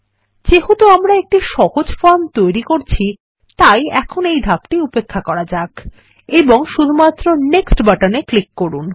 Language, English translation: Bengali, Since we are creating a simple form, let us skip this step for now and simply click on the Next button